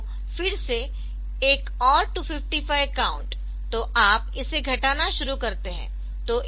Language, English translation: Hindi, So, again another 255 count so, you start decrementing it